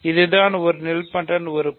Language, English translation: Tamil, So, this is what a nilpotent element is